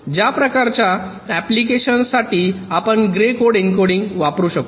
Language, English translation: Marathi, for these kind of applications we can use an encoding like something called gray code encoding